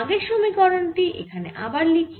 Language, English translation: Bengali, let me write ah previous equation here again